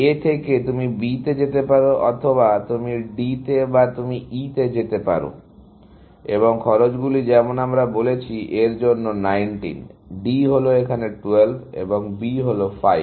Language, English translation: Bengali, From A, you can go to B, or you can go to D, or you can go to E, and the costs are, as we said, 19 for this; D is 12 and B is 5